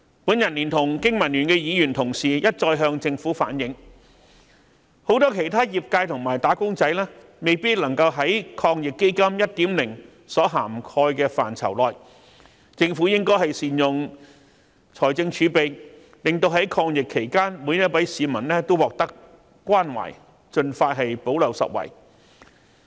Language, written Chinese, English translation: Cantonese, 我聯同經民聯的議員同事一再向政府反映，很多其他業界和"打工仔"未有納入抗疫基金 1.0 所涵蓋的範疇內，政府應該善用財政儲備，在抗疫期間令每位市民也獲得關懷，盡快補漏拾遺。, I together with my fellow colleagues from BPA have repeatedly conveyed to the Government that many businesses and wage earners were excluded from the first round of AEF . The Government should make good use of its fiscal reserves by promptly introducing measures to plug the gap to extend care to all citizens during the epidemic